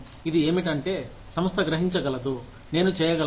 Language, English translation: Telugu, It is what, the organization perceives, I can do